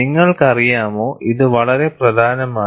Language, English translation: Malayalam, You know, this is very important